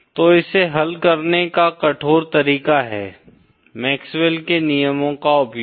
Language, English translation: Hindi, So the rigourous way of solving this is using MaxwellÕs laws